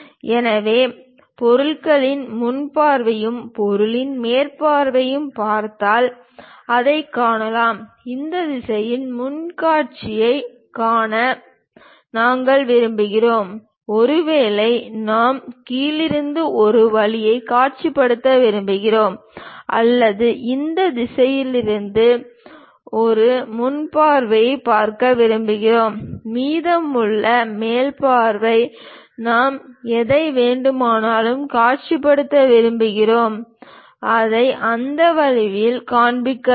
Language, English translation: Tamil, So, if we are looking at front view of the object and top view of the object, we can clearly see that; we would like to view front view in this direction, perhaps we would like to visualize from bottom side one way or we would like to view from this direction as a front view, and the remaining top view whatever we would like to really visualize that we might be showing it in that way